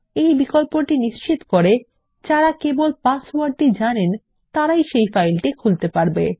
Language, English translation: Bengali, This option ensures that only people who know the password can open this file